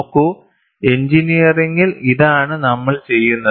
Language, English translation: Malayalam, See, in engineering, this is what we do